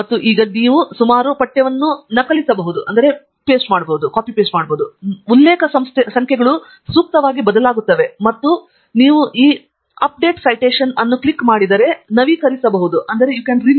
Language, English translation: Kannada, And we can now copy paste the text around, and you would see that the reference numbers would change appropriately, and to update if you just click on this Update Citations